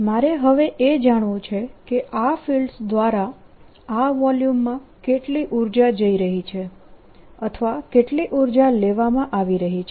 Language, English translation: Gujarati, what i want to know now is how much energy is being pumptined by these fields into this volume, or how much energy is being taken away